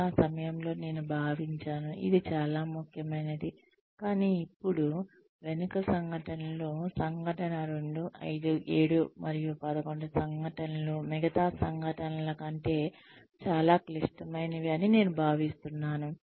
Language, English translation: Telugu, That, I thought at the time, it was more important, but now, in hindsight, I think incident 2, 5, 7, and 11 are more critical than, the rest of the incidents